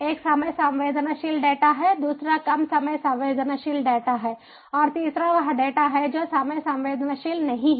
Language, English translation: Hindi, one is time sensitive data, second is the less time sensitive data and third is data which are not time sensitive at all